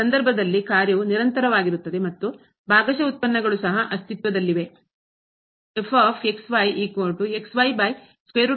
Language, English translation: Kannada, In this case function is also continuous and partial derivatives also exist